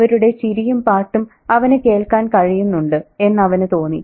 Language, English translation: Malayalam, It seemed to him that he could hear the chanting, singing, laughing